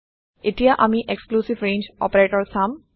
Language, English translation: Assamese, Now we will see an exclusive range operator